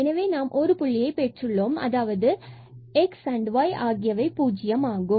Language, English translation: Tamil, So, we got this 1 point, now x is equal to 0 and y is equal to 0